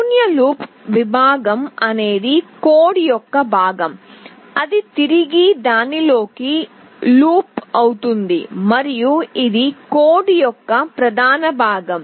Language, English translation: Telugu, The void loop section is the part of the code that loops back onto itself and it is the main part of the code